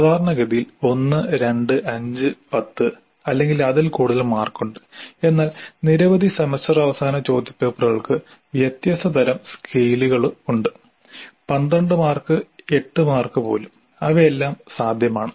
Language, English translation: Malayalam, When evaluation is scoring there is again fair amount of variability typically 1, 2, 5, 10 or more marks but several semester and question papers do have different kinds of scales, even 12 marks, 8 marks, these are all possible